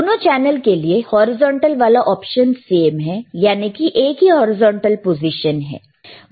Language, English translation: Hindi, Now, you see for horizontal, for both the channels it is same, only one horizontal position, right